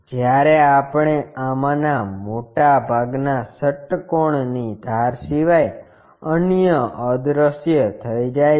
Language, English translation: Gujarati, When we are looking at this most of this hexagon is invisible other than the edges